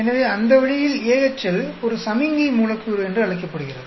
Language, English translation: Tamil, So, that way it is called a signaling molecule, AHL